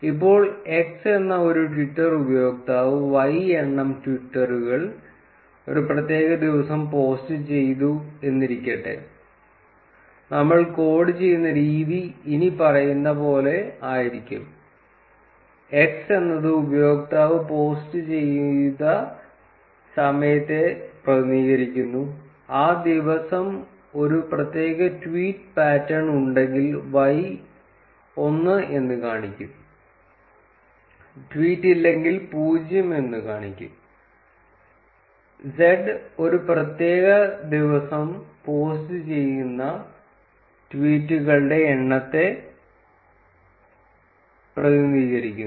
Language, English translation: Malayalam, Now suppose we know a twitter user x who had posted y number of tweets on a particular day, the way we would code it is that x represents the time when the user posted, y would indicate one if there is a tweeting pattern on that particular day, and 0 if there is no tweet on that particular day, and z would represent the number of tweets that are posted on a particular day